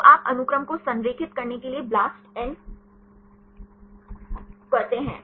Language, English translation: Hindi, So, you take the blastn to align the sequences